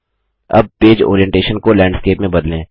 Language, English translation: Hindi, Now change the page orientation to Landscape